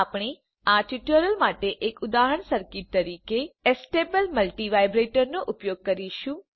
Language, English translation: Gujarati, We will use Astable multivibrator as an example circuit for this tutorial